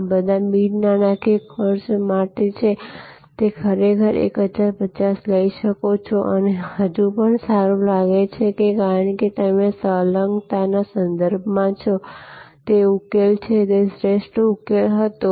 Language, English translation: Gujarati, For all these non monitory costs, you might actually take the 1050 and still feel good because that is in the context of where adjacency; that is the solution which was the optimum solution